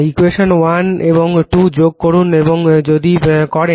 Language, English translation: Bengali, Add equation 1 and 2 if, you do